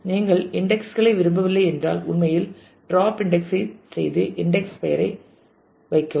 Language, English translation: Tamil, If you do not want an indexes actually do drop index and put the index name